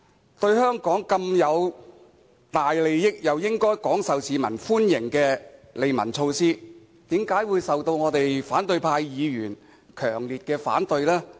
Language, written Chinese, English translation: Cantonese, 這項對香港有這麼大好處，亦應該廣受市民歡迎的利民措施，為何會受到反對派議員強烈反對呢？, In fact I am puzzled as to why opposition Members so strongly reject such a beneficial and popular arrangement